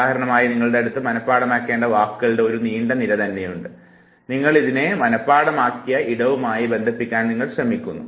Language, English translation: Malayalam, Say for example, if you have a list of words with you, that you have to memorize all you have to do is that you associate it with the space that you have already memorized